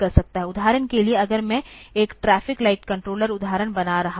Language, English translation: Hindi, For example if I am doing a traffic light controller example